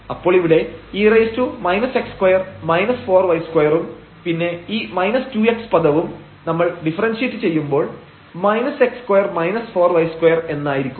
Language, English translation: Malayalam, So, here this is 8 x the derivative of this first term 8 x and then here e power minus x square minus 4 y square